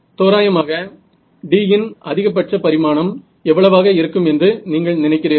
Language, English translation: Tamil, So, what would you think D is roughly for that, what is the maximum dimension of that